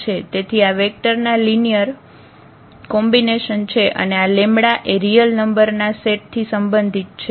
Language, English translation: Gujarati, So, this the linear combination of the vectors and this lambda belongs to the set of real number